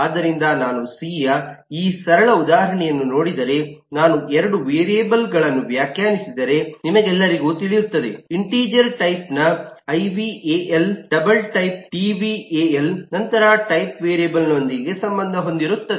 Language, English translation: Kannada, you all would eh know, if I eh define 2 variables, eh, ival of integer type, dval of the double type, then the type is associated with these variables